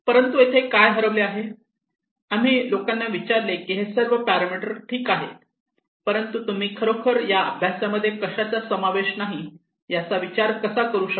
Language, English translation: Marathi, But what is missing, we ask people that okay these parameters are fine but what did you really think that this exercise did not include